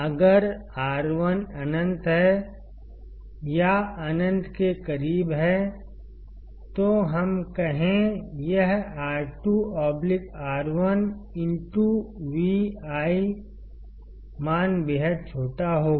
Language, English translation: Hindi, Let us say if R1 is infinite or close to infinity; this R2 by R1 into Vi value will be extremely small